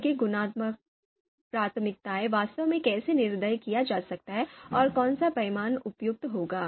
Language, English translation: Hindi, How their preferences you know qualitative preferences can actually be quantified and which scale is going to be you know suitable